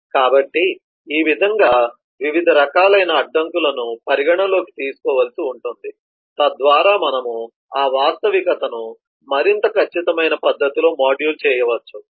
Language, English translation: Telugu, so in this way different forms of constraints will have to be considered so that we can model that reality in am more precise manner